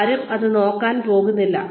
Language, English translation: Malayalam, Nobody is going to look at it